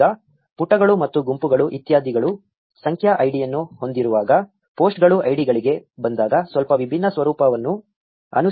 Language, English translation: Kannada, Now while pages and groups etcetera have a numeric id, posts follow a slightly different format when it comes to ids